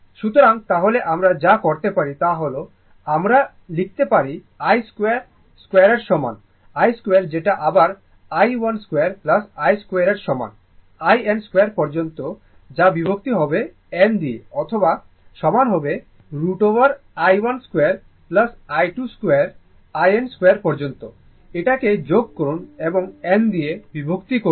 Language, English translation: Bengali, So, then what we can do is, we can write I square is equal to I square is equal to i 1 square plus i 2 square up to i n square divided by n right or I is equal to square root of i 1 square plus i 2 square up to i n square sum it up, divided by your n, right